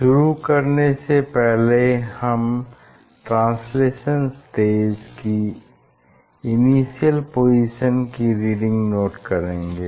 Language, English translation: Hindi, we will note down the reading position of the translational stage initial before starting, to translate